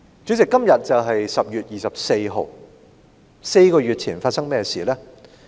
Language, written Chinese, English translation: Cantonese, 主席，今天是10月24日，香港在4個月前發生了甚麼事呢？, President today is 24 October and what happened in Hong Kong four months ago?